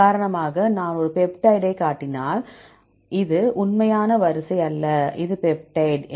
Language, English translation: Tamil, For example if I show a peptide, this is not a real sequence, this is peptide